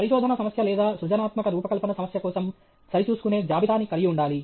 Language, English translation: Telugu, Checklist for a research problem okay or a creative design problem